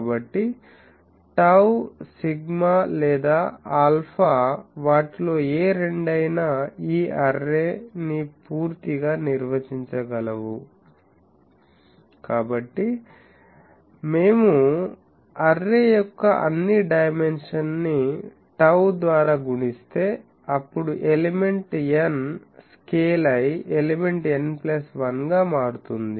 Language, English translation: Telugu, So, tau, sigma or alpha, any two of them can completely define this array So, if we multiply all dimensions of the array by tau, it scales itself with element n becoming element n plus 1